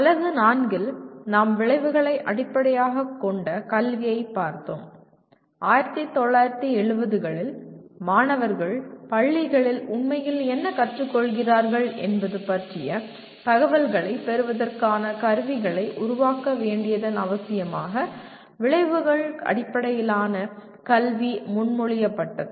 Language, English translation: Tamil, In Unit 4, we looked at Outcome Based Education and outcome based education was proposed in 1970s in response to the need to develop instruments to obtain information about what the students are actually learning across schools